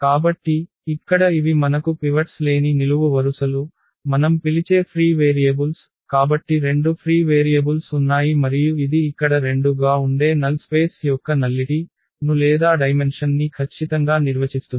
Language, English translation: Telugu, So, these are the free variables which we call, so there are two free variables and that will define exactly the nullity or the dimension of the null space that will be 2 here